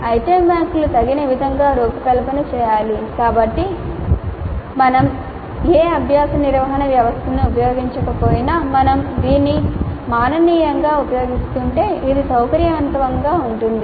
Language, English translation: Telugu, The item banks should be suitably designed so that even if you are not using any learning management system if you are using it manually also it is convenient